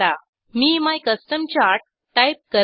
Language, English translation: Marathi, I will type my custom chart